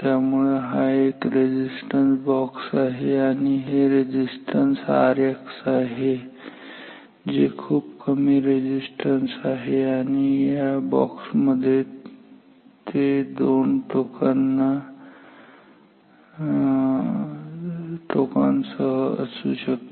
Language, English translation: Marathi, So, this is a resistance box and this resistance R X which is a small resistance low resistance can also come in a box with 2 terminals